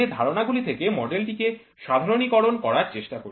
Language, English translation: Bengali, So, this assumption tries to generalize the model